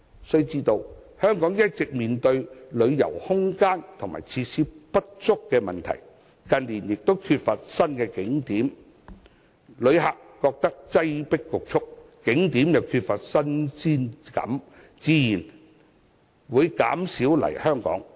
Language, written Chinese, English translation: Cantonese, 須知道香港一直面對旅遊空間和設施不足的問題，近年亦缺乏新景點，旅客感到擠迫侷促，景點又缺乏新鮮感，自然會減少來港。, We should be aware that inadequate room and facilities for tourism have been an issue in Hong Kong and lacking new tourist spots has been another issue in recent years . Naturally tourists will come less frequently when they find Hong Kong too crowded and lack new tourism spots